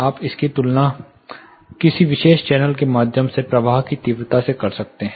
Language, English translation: Hindi, You can compare it with the flow intensity through a particular channel